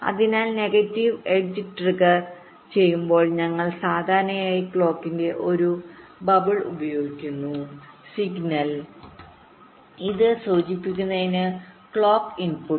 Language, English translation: Malayalam, so when it is negative edge trigged, we usually use a bubble at the clock signal, clock input to indicate this